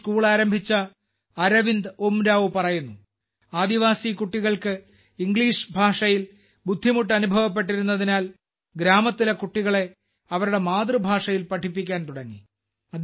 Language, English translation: Malayalam, Arvind Oraon, who started this school, says that the tribal children had difficulty in English language, so he started teaching the village children in their mother tongue